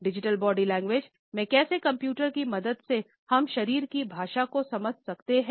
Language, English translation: Hindi, Digital Body Language is about how with the help of computers, we can understand body language